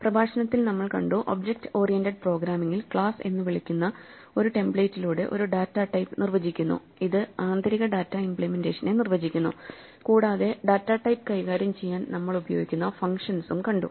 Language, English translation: Malayalam, In the lecture, we saw that in object oriented programming we define a data type through a template called a class, which defines the internal data implementation, and the functions that we use to manipulate the data type